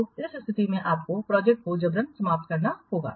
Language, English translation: Hindi, So in that case you have to forcibly terminate the project